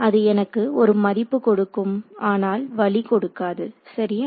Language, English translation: Tamil, It gives me a value it does not give me direction right